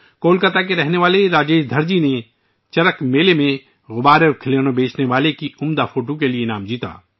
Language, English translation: Urdu, Rajesh Dharji, resident of Kolkata, won the award for his amazing photo of a balloon and toy seller at CharakMela